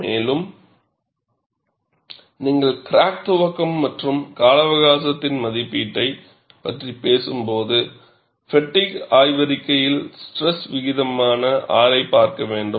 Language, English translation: Tamil, And when you are talking about crack initiation and life estimation, we will have to look at R, which is the stress ratio in fatigue literature